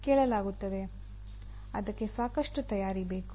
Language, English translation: Kannada, That requires lot of preparation